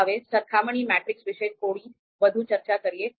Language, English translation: Gujarati, Now let’s talk a bit more about comparison matrix